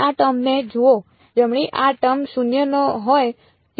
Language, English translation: Gujarati, Look at this term right this term is non zero where